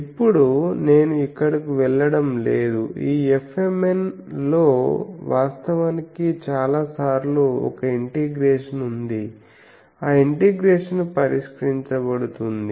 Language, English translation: Telugu, So, now I am not going here actually in this F mn there is an integration in many times, that integration can be solved